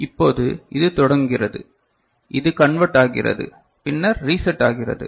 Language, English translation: Tamil, Now, it is starting, it is converting then it is getting reset right